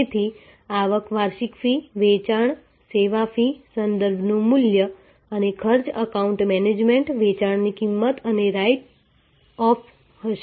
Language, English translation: Gujarati, So, revenues will be annual fee, sales, service fees, value of referrals and cost will be account management, cost of sales and write offs